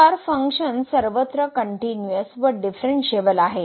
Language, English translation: Marathi, So, the function is not differentiable in this case